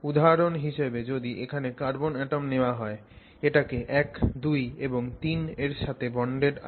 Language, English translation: Bengali, So, for example, if I take that carbon atom here, it is bonded to 1, 2 and 3